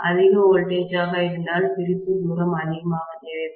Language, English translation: Tamil, Higher the voltage I will require higher as the separation distance